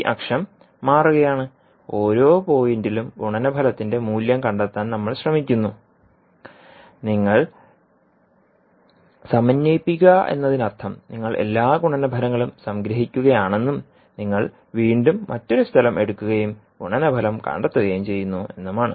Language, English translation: Malayalam, So at this axis it is shifting and we are trying to find out the value of the product at each and every point and ten you are integrating means you are summing up all the products and then you are again you are taking another location and finding out the product